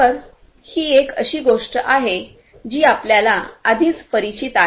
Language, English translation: Marathi, So, this is something that you are already familiar with